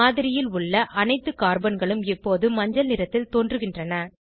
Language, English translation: Tamil, All the Carbons in the model, now appear yellow in colour